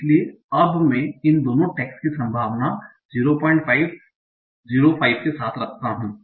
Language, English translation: Hindi, So now I am giving both these texts with probability 0